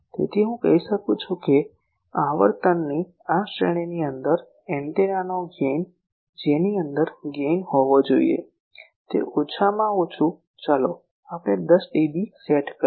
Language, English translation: Gujarati, So, I can say that gain of the antenna within this range of frequencies within which gain should be at least let us set 10dB